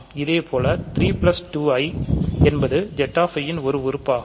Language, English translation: Tamil, Similarly, 3 plus 2i is an element of Z and so on